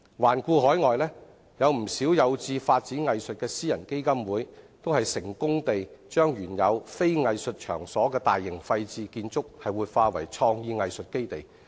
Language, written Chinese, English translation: Cantonese, 環顧海外，不少有志發展藝術的私人基金會，均成功地把原非藝術場所的大型廢置建築活化為創意藝術基地。, Around the world not a few private foundations aspired to develop arts have successfully revitalized some large vacant buildings which were not originally used for arts venues into creative arts bases . Let us take Shanghai as an example